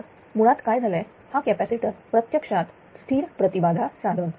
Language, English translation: Marathi, So, basically what happened this capacitor actually it is a constant impedance device